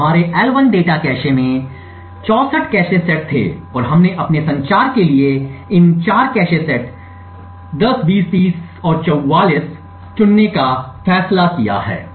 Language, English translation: Hindi, So, there were 64 cache sets in our L1 data cache and we have decided to choose these 4 cache sets, cache set 10, 20, 30 and 44 for our communication